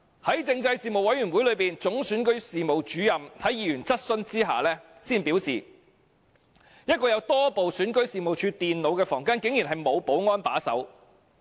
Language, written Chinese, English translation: Cantonese, 在政制事務委員會會議上，總選舉事務主任在議員質詢之下表示，一個放置多部選舉事務處電腦的房間竟然沒有保安把守。, When questioned by members at the meeting of the Panel on Constitutional Affairs the Chief Electoral Officer disclosed that the room in which multiple computers of the Registration and Electoral Office were placed was not guarded by any security staff